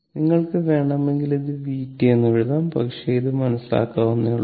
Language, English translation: Malayalam, If you want you can put it this is v t, but it is understandable, it is understandable right